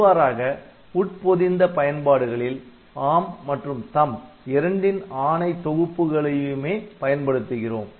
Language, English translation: Tamil, So, that way this for embedded applications we need to use both of these ARM and THUMB instruction sets